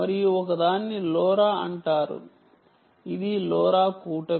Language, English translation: Telugu, lora is given by the lora alliance